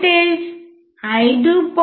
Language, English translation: Telugu, The voltage is close to 5